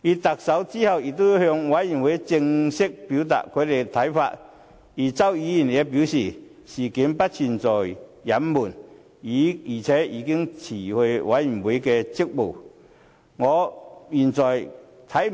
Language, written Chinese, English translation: Cantonese, 特首之後已向專責委員會正式表達他的看法，而周議員也表示事件不存在隱瞞，而且他已經辭去專責委員會的職務。, Subsequently the Chief Executive has formally expressed his views to the Select Committee while Mr CHOW also said that he did not cover up anything and he also withdrew from the Select Committee